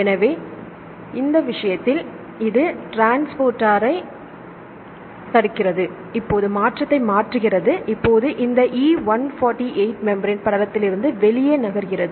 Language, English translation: Tamil, So, in this case, it blocks the transport right now change the conformation and here this E148 moves away from the membrane to outside